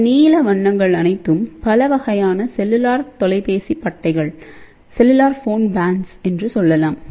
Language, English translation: Tamil, Now all these blue colors are various, you can say a cellular phone bands